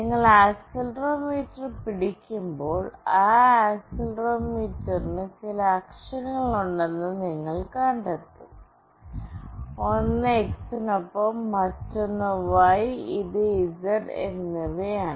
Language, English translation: Malayalam, When you hold the accelerometer, you will find out that that accelerometer is having certain axes, one is along X, another is Y and this one is Z